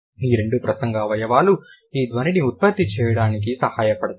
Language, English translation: Telugu, So, these two organs are going to participate in the production of these sounds